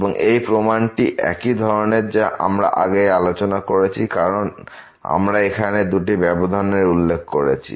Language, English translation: Bengali, And, the proof is similar to what we have already done before because, now we can consider two intervals here in this